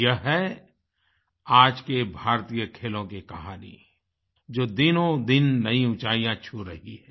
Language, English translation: Hindi, This is the real story of Indian Sports which are witnessing an upswing with each passing day